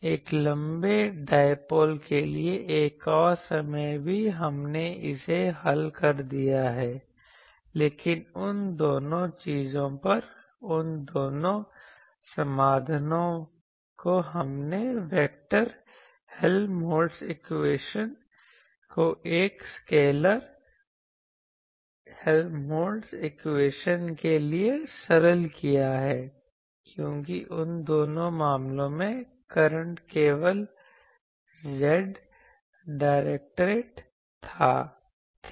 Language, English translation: Hindi, Another time for a long dipole also we have solved it, but both those solutions on both the things we simplified the vector Helmholtz equation to a scalar Helmholtz equation because in both those cases the current we was only Z directed